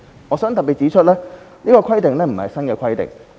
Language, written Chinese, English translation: Cantonese, 我想指出，這項規定不是新的規定。, I would like to point out that this is not a new regulation